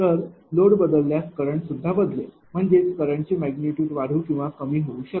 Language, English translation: Marathi, So, if load changes it varies it cu[rrent] ; that means, current mag can increase or decrease